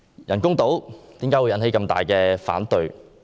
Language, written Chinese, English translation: Cantonese, 人工島為何引起這麼大的反對？, How come the artificial islands project has aroused such strong opposition?